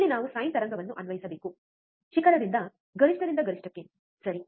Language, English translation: Kannada, Here we have to apply a sine wave, right peak to peak to peak, right